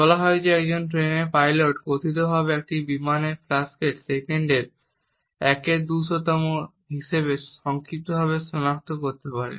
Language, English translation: Bengali, It is said that a train pilot can purportedly identify a plane flashes as briefly as 1/200th of a second